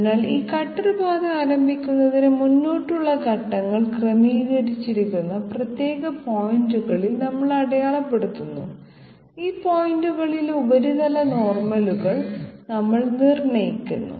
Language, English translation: Malayalam, So this cutter path to start with, we mark at particular points which are forward steps adjusted, we determine the surface normals at these points